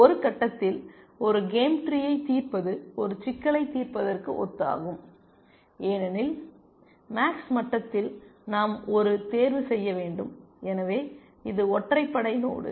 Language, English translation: Tamil, And at some point I had also made this observation that, solving a game tree is similar to solving an of problem because at the max level we have to make one choice, so it is an odd node